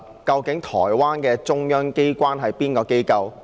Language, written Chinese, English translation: Cantonese, 究竟台灣的中央機關是甚麼機構？, Which institutions are the central authorities of Taiwan?